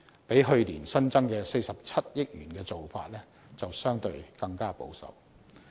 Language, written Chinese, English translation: Cantonese, 較去年新增的47億元的做法，相對更為保守。, They are even more conservative than last years new allocation of 4.7 billion